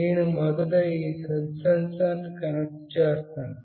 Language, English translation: Telugu, I will be first connecting this touch sensor